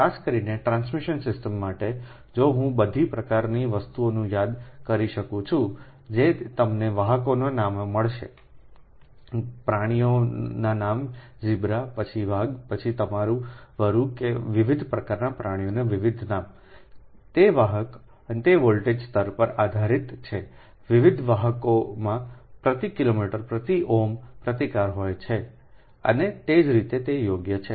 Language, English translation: Gujarati, ah, i, if i can recall all sort of thing that you will find, the conductors names, name of the animals, like zebra, then tiger, right, then your wolf, that different name of the different animals, right, those conductors, and it depends on the voltage levels, different conductors has ah, different resistance per ohm per kilometer and as well as that reactance, right